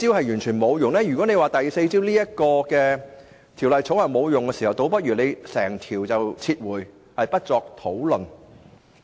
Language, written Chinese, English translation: Cantonese, 如果認為第四招，即《條例草案》完全沒有作用，那倒不如整項撤回，不作討論。, If the fourth measure which is the present Bill is considered to be completely ineffective we might as well withdraw the Bill and stop the discussion